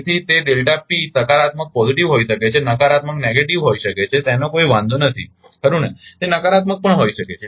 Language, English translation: Gujarati, So, it the delta P may be positive may be negative, does not matter right it may be can negative also